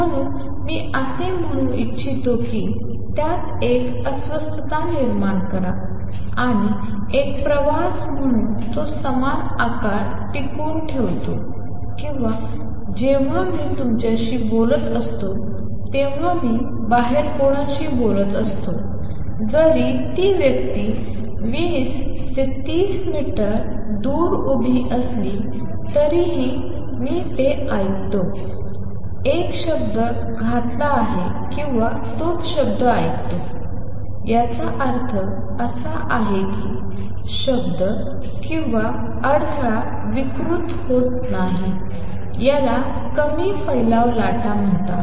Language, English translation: Marathi, So, I kind of let say create a disturbance in it and as a travels it retains the same shape or when I am talking to you, when I am talking to somebody outside, even if the person is standing 20 30 meters away, if I have attired a word he hears or she hears the same word; that means, the word or the disturbance is not gotten distorted these are called dispersion less waves